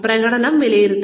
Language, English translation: Malayalam, Appraise the performance